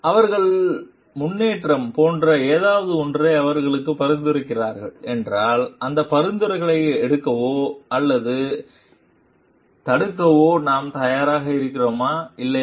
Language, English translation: Tamil, And if like they are suggesting something for them like improvement then are we open to take those suggestions or not